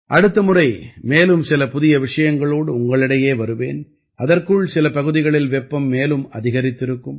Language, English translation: Tamil, Next time I will come to you with some new topics… till then the 'heat' would have increased more in some regions